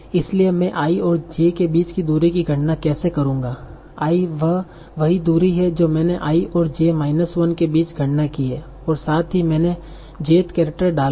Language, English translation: Hindi, I say the same distance that I computed between i and j minus 1 plus I inserted the jeth character